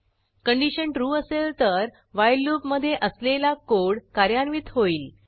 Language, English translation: Marathi, If the condition is true, the code within the while loop will get executed